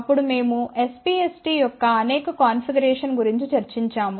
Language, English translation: Telugu, Then we had discussed about several configurations of SPST